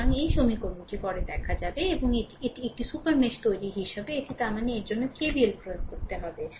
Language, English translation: Bengali, So, if you apply this KVL, so your in the super mesh, so this is the equation I wrote for you right